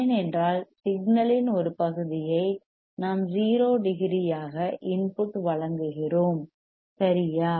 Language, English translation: Tamil, Because the signal the part of the signal that we have providing back to the input right that is also 0 degree